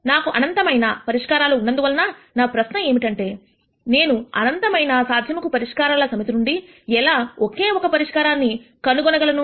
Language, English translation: Telugu, Since I have in nite number of solutions then the question that I ask is how do I find one single solution from the set of infinite possible solutions